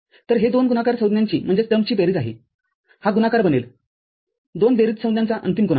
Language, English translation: Marathi, So, it was sum of two product terms, this becomes product final product of two sum terms